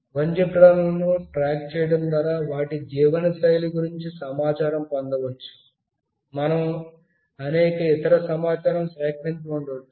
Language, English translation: Telugu, Tracking wildlife to gain information about their lifestyle, there could be many other information we can gather